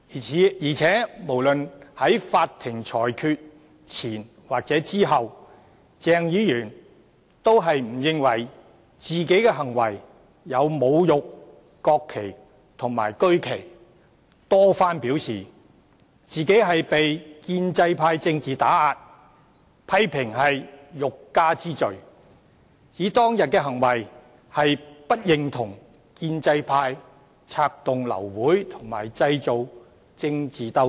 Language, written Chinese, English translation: Cantonese, 再者，無論在法庭裁決前或後，鄭議員也不認為自己的行為屬侮辱國旗及區旗，多番表示自己被建制派政治打壓，批評是欲加之罪，指當天的行為是為了表示不認同建制派策動流會和製造政治鬥爭。, Further both before and after the making of the verdict by the Court Dr CHENG did not consider his conduct a desecration of the national flag and regional flag . He has claimed repeatedly that he is subjected to political suppression by the pro - establishment camp . Criticizing the prosecution against him as a trumped - up charge he has claimed that his act on that day was an expression of disapproval of the attempts made by the pro - establishment camp to abort the meeting and to stage political struggles